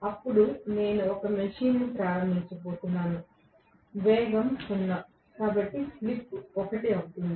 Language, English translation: Telugu, Then I am going to start a machine, speed is zero, so the slip will be one right